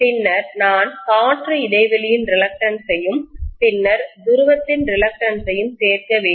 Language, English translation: Tamil, Then I have to include the reluctance of the air gap, then the reluctance of the pole again, right